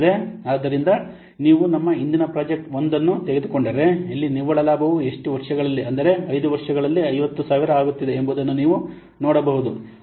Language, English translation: Kannada, So, if you will take our previous project that is project one, here you can see the net profit is coming to be 50,000 along how many years